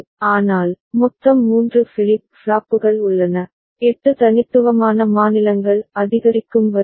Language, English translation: Tamil, But, as a whole three flip flops are there, 8 unique states increasing order